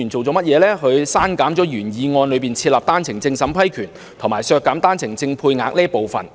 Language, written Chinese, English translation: Cantonese, 他刪減了原議案中設立單程證審批權，以及削減單程證配額的建議。, He has deleted the proposals of establishing a vetting and approval mechanism for OWP as well as reducing OWP quota in the original motion